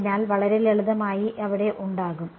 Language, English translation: Malayalam, So, very simply there will be